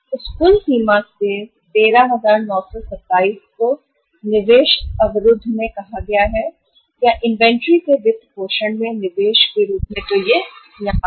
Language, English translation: Hindi, From that total limit 13,927 are are say blocked in the investment uh or in the form of investment in the funding of inventory so it is here